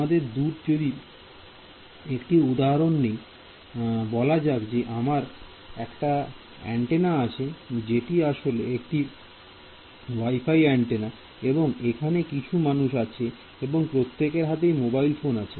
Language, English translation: Bengali, So, when we are so, take a general example let us say that I have an antenna let us say that is your WiFi antenna over here and you have some human being over here, you could even have a mobile phone in his hand his or her hand